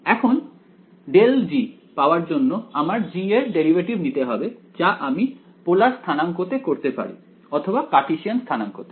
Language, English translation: Bengali, Now to get at grad g I need to take the derivative of g with respect to I can do it in polar coordinates or I can do it in Cartesian coordinates